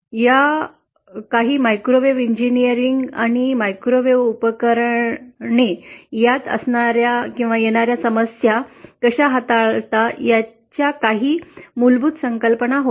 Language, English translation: Marathi, So these were some basic concepts about microwave engineering and how we deal with the problems that come up when we have microwave devices